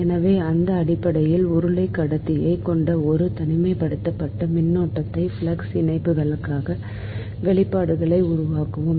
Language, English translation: Tamil, so in based on that, we will develop expressions for flux linkages of an isolated current carrying cylindrical conduct